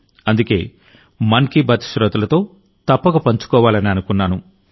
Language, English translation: Telugu, That's why I thought that I must share it with the listeners of 'Mann Ki Baat'